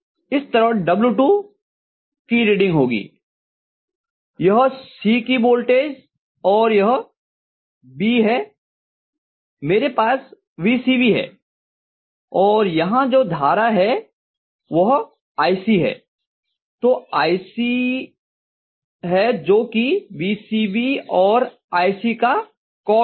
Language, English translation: Hindi, Similarly W2 is going to have the reading to be this is voltage of C and this is B so I am going to have VCB and the current that is flowing here is iC so this is going to be iC cos of VCB and iC, right